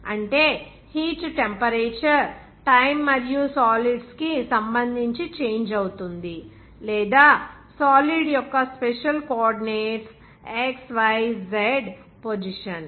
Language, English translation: Telugu, That is heat temperature will be changing with respect to time as well as the solids or that special coordinates s, y, z position of the solid